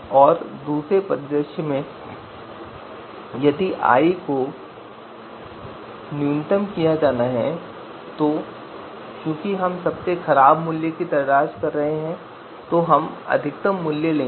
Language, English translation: Hindi, And in the second scenario if criterion i is to be you know minimized then since we are looking for the worst value we will take the maximum value